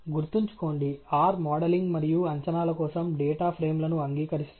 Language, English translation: Telugu, Remember, that R accepts data frames for modelling and predictions and so on